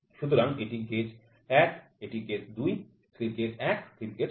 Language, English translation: Bengali, So, this is gauge 1 this is gauge 2; slip gauge 1 slip gauge2